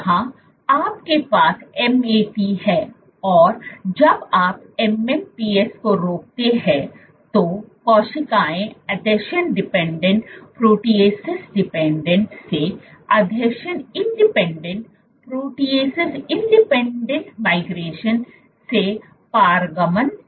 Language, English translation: Hindi, Here you have MAT, when you inhibit MMPs the cells transition from adhesion dependent, protease dependent, to adhesion independent, protease independent migration